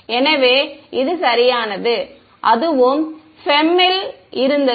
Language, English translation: Tamil, So, this is perfect for and that was also the case in FEM